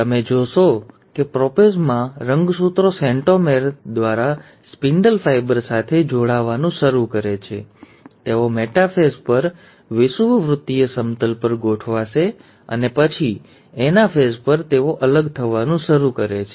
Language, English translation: Gujarati, So, you find that in prophase, the chromosome start attaching to the spindle fibre through the centromere, they will arrange at the equatorial plane at the metaphase, and then at the anaphase, they start separating apart